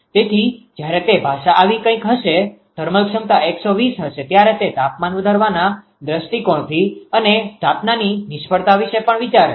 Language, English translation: Gujarati, So, when it language will be something like this the thermal capability 120 it thinks about from the temperature raise point of view ah and a installation failure also right